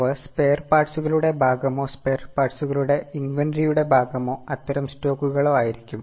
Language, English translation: Malayalam, They would also be forming part of spare parts, part of inventory of spare parts or such type of stocks